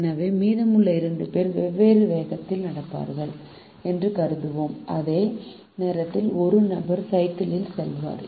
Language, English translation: Tamil, so we will assume that the remaining two people will be working at different speeds while one person will be riding the bi cycle